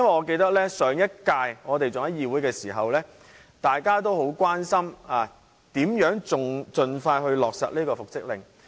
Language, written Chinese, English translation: Cantonese, 記得在上一屆議會時，大家都很關心如何盡快落實復職令。, I remember that in the Council of the last term we were concerned about how the reinstatement order could be implemented expeditiously